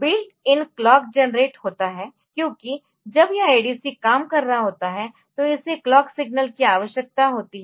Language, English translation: Hindi, There is built in clock generated, because when it this ADC is operating so, it requires a clock signal